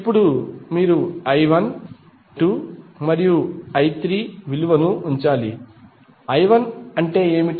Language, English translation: Telugu, Now, you have to put the value of I 1, I 2 and I 3, what is I 1